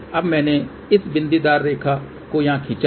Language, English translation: Hindi, Now, I have drawn this dotted line over here